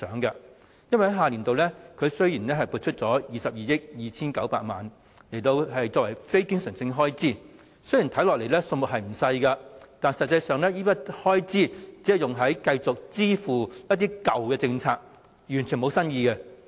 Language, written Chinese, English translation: Cantonese, 雖然下年度撥出了22億 2,900 萬元作為非經常性開支，看起來數目不少，但此筆開支實際上只用於繼續支付一些舊政策下的措施，完全沒有新意。, Although the non - recurrent expenditure of about 2,229,000,000 for the next fiscal year seems to be quite large actually the expenditure will be allocated for the payment of some old initiatives under some old policies . There is nothing new